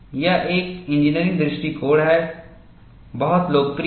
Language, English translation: Hindi, It is an engineering approach; very popular